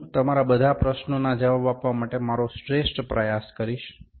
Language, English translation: Gujarati, I will try my best to answer all your queries